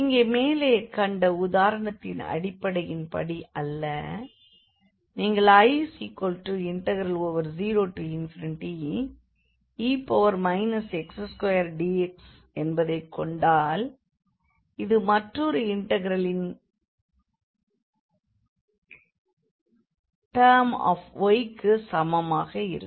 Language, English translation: Tamil, Here just not based on the above example if you consider this I here 0 to infinity e power minus x square dx which is equal to another integral I am considering terms of y